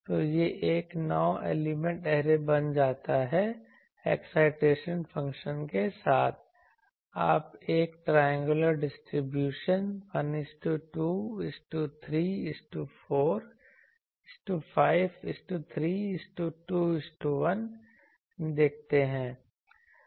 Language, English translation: Hindi, So, this becomes a 9 element array with the excitation functions, you see a triangular distribution 1 is to 2 is to 3 is to 4 is to 5 is to 3 is to 2 is to 1